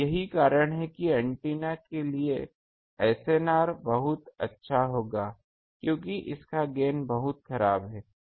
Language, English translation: Hindi, And that is why the SNR for this antenna will be very good because its gain is very poor ah